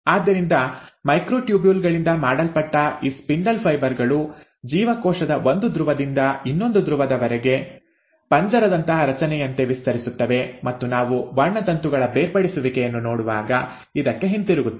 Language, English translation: Kannada, So, these spindle fibres which are made up of microtubules, extend from one pole to the other pole of the cell like a cage like structure, and we will come back to this when we are actually looking at the separation of chromosomes